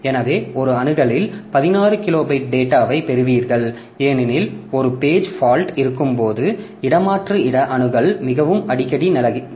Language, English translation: Tamil, So, in one axis you get 16 kilobyte of data because swap space access is very frequent when there is a page fault